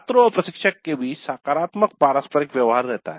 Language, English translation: Hindi, Positive interaction between the students and instructor existed